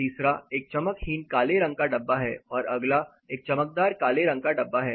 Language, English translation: Hindi, Third is a dull black container and the forth is a shiny black container